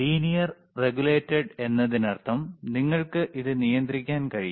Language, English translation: Malayalam, If you see the lLinear regulated means you can regulate it